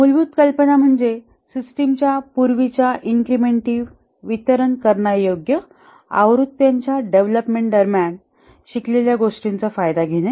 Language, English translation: Marathi, The basic idea is to take advantage of what was learned during the development of earlier incremental deliverable versions of the system